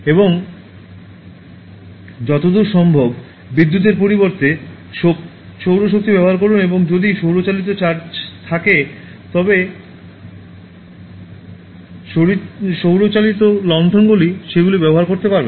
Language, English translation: Bengali, And use solar power instead of going for electricity as far as possible and if there is solar powered charges, solar powered lanterns you can use them